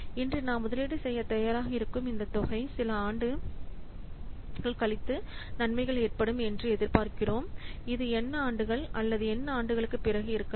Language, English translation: Tamil, So, this amount that we are willing to invest today for which we are expecting that some benefit will occur might be after n years or a number of years or so